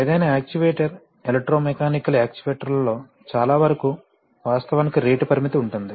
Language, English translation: Telugu, Any actuator, most of the electromechanical actuators actually have a rate limit